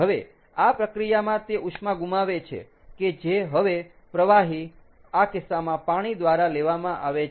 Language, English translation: Gujarati, now, in this process, it gives up heat, which is now picked up by the fluid, in this case water